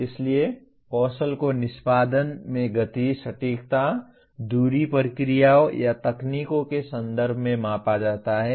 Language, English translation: Hindi, So the skills are measured in terms of speed, precision, distance, procedures, or techniques in execution